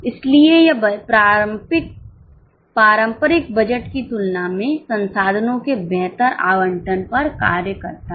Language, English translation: Hindi, So, it serves on much better allocation of resource than a traditional budget